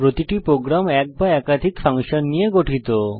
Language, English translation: Bengali, Every program consists of one or more functions